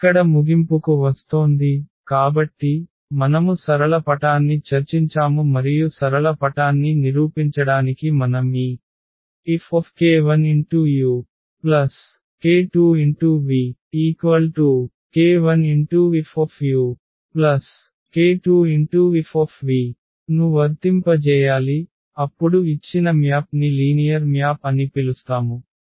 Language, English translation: Telugu, Coming to the conclusion here; so, we have discussed the linear map and to prove the linear map we just need to apply this F on this k 1 u plus k 2 v and if we get the k 1 F u plus k 2 F v then we call that the given map is the linear map